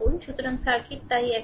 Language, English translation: Bengali, So, in circuit so, just one minute